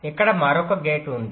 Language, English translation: Telugu, just two gates